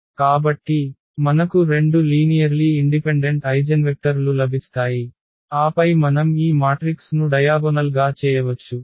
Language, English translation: Telugu, So, we will get two linearly independent eigenvectors and then we can diagonalize this matrix